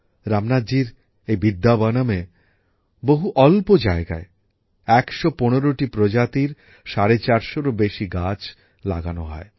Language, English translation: Bengali, In the tiny space in this Vidyavanam of Ramnathji, over 450 trees of 115 varieties were planted